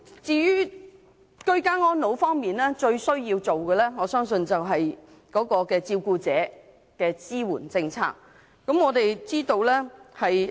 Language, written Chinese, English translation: Cantonese, 至於居家安老方面，我相信照顧者的支援政策最為必要。, Insofar as ageing in place is concerned I believe support policies for carers are the most essential